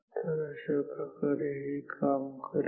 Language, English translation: Marathi, So, this is how it works